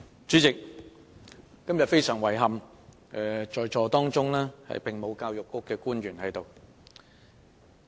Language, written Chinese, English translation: Cantonese, 主席，今天非常遺憾，沒有教育局的官員在席。, President it is rather regrettable that no public officers from the Education Bureau are present at todays meeting